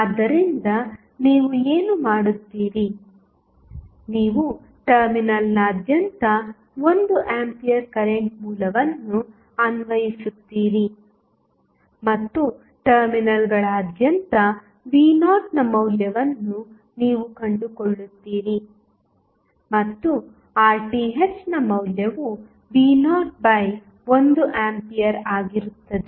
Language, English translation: Kannada, So, what you will do, you will apply 1 ampere current source across the terminal and you find out the value of V naught across the terminals and the value of Rth would be V naught divided by 1 ampere